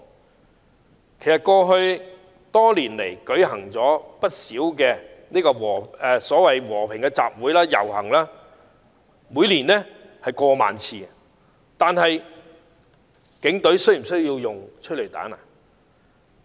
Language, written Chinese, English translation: Cantonese, 其實，香港在過去多年間舉行了不少和平集會和遊行，每年次數多達過萬次，但警隊有否需要使用催淚彈呢？, Actually for many years in the past many peaceful assemblies and processions were organized . Each year there were as many as 10 000 assemblies and processions . Did the Police need to deploy tear gas?